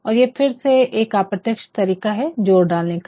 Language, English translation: Hindi, And, it is once again and indirect statement for emphasis